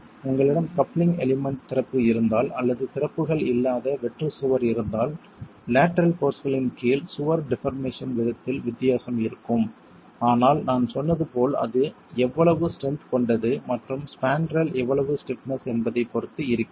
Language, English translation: Tamil, If you have an opening with a coupling element or if you have a blank wall with no openings, there is a difference in the way the wall will deform under lateral forces, but it also, as I said, depends on how strong and how stiff the spandrel itself is